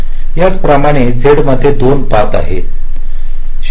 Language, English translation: Marathi, similarly, in z there are two paths